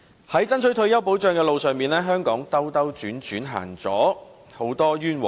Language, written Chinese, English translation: Cantonese, 在爭取退休保障的路上，香港兜兜轉轉，走了很多冤枉路。, In the fight for retirement protection Hong Kong has gone round in circles and made a lot of pointless ventures